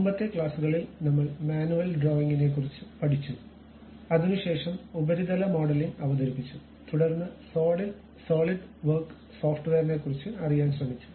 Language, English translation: Malayalam, In the earlier classes, we learned about manual drawing and after that we have introduced surface modeling then went try to learn about Solidworks software